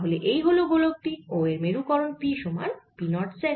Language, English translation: Bengali, a sphere carries a polarization p equals p, naught z